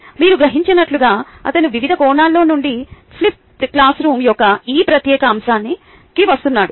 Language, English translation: Telugu, as you realize, he is coming from various different angles down to this particular aspect of a flipped classroom